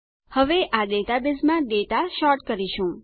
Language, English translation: Gujarati, Now lets sort the data in this database